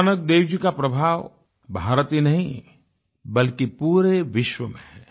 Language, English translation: Hindi, The luminescence of Guru Nanak Dev ji's influence can be felt not only in India but around the world